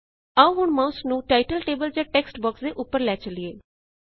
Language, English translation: Punjabi, Let us point the mouse over the title label or the text box